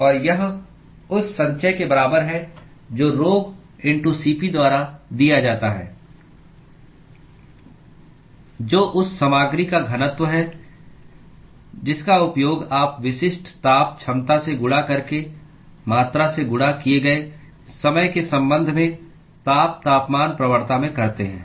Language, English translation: Hindi, And that is equal to the accumulation which is given by rho*Cp which is the density of the material that you are using multiplied by the specific heat capacity into heat temperature gradient with respect to time multiplied by the volume